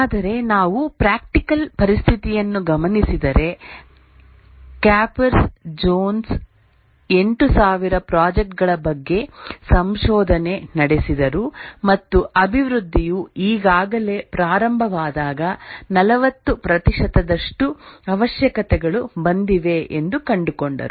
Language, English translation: Kannada, Capers zones researched on 800, 8,000 projects and he found that 40% of the requirements were arrived when the development had already begun